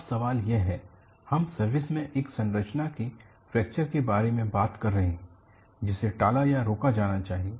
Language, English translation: Hindi, Now the question is we have been talking about fracture of a structure in service needs to be avoided or prevented